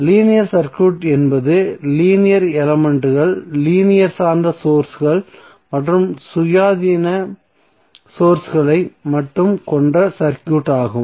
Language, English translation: Tamil, Linear circuit is the circuit which contains only linear elements linear depended sources and independent sources